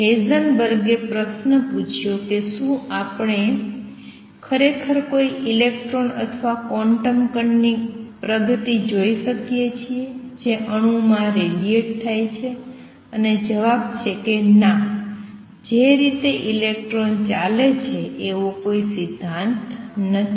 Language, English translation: Gujarati, Heisenberg asked the question do we really see the trajectory of an electron or a quantum particle which is radiating in an atom, and the answer is no I do not theory no which way the electronic moving